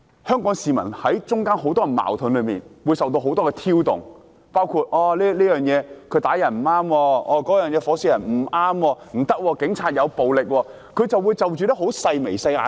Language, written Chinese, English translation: Cantonese, 香港市民身處很多社會矛盾之中，情緒受很多挑動，包括有人會說打人不對、點火燒傷人不對、警察使用暴力不對等，就着很多細微的事情......, In the midst of numerous conflicts in society Hong Kong people are exposed to a lot of provocations as far as their emotions are concerned which include peoples criticisms against cases of assaults an incident of someone being set alight the use of violence by the Police etc and regarding many trivialities Please do not get me wrong